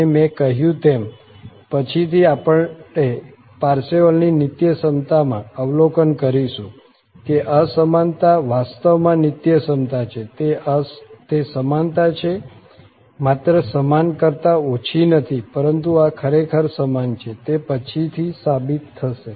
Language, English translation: Gujarati, And as I said later on, we will observe in this Parseval's Identity, that this inequality is actually the identity, it is equality not just the less than equal to but this is actually equal to that was proved later on